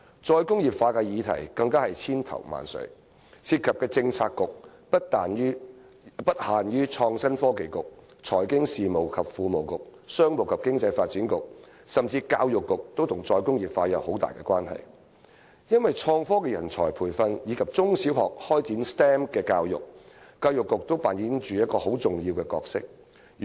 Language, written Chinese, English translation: Cantonese, "再工業化"的議題更是千頭萬緒，涉及的政策局不限於創新及科技局、財經事務及庫務局、商務及經濟發展局，甚至教育局也與"再工業化"有很大關係，因為在創科人才培訓和中小學開展 STEM 教育方面，教育局均扮演着一個很重要的角色。, Moreover re - industrialization is a complex issue that involves different Policy Bureaux including but not limited to the Innovation and Technology Bureau the Financial Services and the Treasury Bureau and the Commerce and Economic Development Bureau . Even the work of the Education Bureau is highly relevant to re - industrialization for it plays a very important role in the training of IT talent and the implementation of STEM education in primary and secondary schools